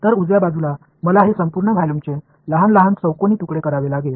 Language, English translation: Marathi, So, on the right hand side, I have to chop up this entire volume into small cubes right